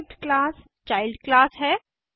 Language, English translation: Hindi, The derived class is the child class